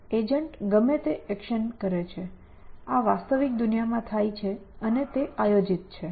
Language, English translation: Gujarati, Whatever action the agent does, it happens in the real world and as planned essentially